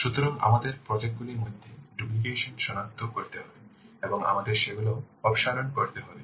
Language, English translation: Bengali, So we have to identify the duplications between the projects and we have to remove them